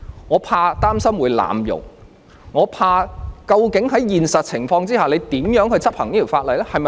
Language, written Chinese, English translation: Cantonese, 我擔心政府會濫用法例，我怕當局究竟在現實情況下，會怎樣執行這項法例？, I am worried that the Government will abuse the law . I am also worried how this law will be enforced in real - life situation